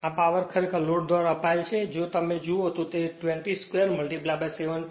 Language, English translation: Gujarati, This power is actually consumed by the load if you look into that 20 square into 7